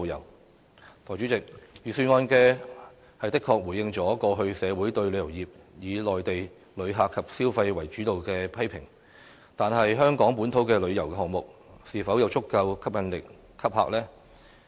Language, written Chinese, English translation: Cantonese, 代理主席，預算案的確回應了過去社會對旅遊業以內地旅客及消費為主導的批評，但是，香港本土的旅遊項目，是否有足夠吸引力吸客呢？, Deputy President the Budget has indeed responded to the criticism that the tourism industry has been overly relied on Mainland tourists and their spending . However are the local tourism projects attractive enough to draw tourists?